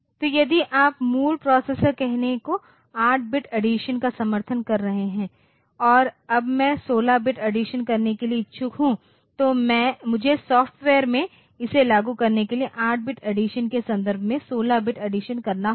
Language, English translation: Hindi, So, if you are if the basic processor is supporting say 8 bit addition and now I am interested to do a 16 bit addition I have to implement in software this 16 bit addition in terms of 8 bit additions